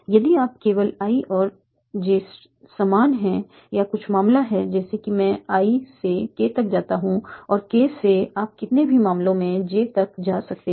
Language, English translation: Hindi, If and only if either I n j is equal or there is some case such that I go from I to K and from K you can go to J in a number of A